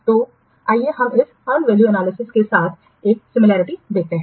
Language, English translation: Hindi, So let's see an analogy with this unvalue analysis